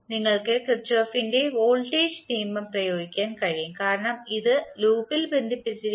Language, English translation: Malayalam, You can apply Kirchhoff’s voltage law, because it is, these are connected in loop